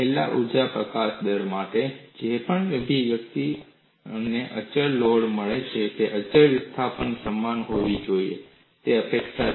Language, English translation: Gujarati, Whatever the expression for energy release rate that I get in constant load should be same as constant displacement; that is the anticipation